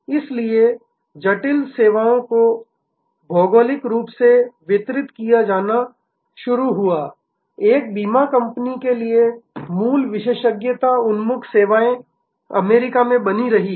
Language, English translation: Hindi, So, complex services started getting geographically distributed, the core expertise oriented services say for an insurance company remained in US